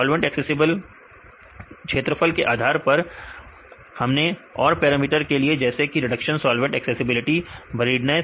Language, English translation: Hindi, Then based on solvent accessible surface area, we did another parameters like reduction solvent accessibility, buriedness and that